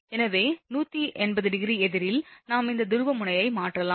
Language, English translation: Tamil, So, just 180 degree opposite, we have might change this polarity it is Vac